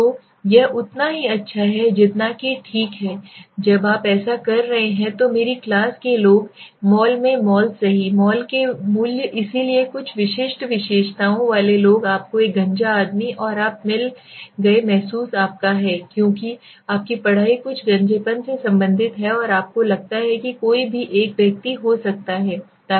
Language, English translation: Hindi, So it is as good as that right so when you are doing it so people in my class, mall in the mall right value of the malls so people with some specific characteristics you found a bald man and you feel is your because your studies related to something baldness and you feel anybody could be a one